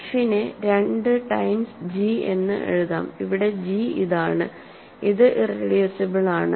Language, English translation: Malayalam, So, f can be written as 2 times g, where g is this, right